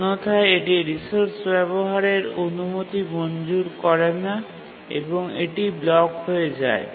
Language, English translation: Bengali, Otherwise it is not granted access to the resource and it blocks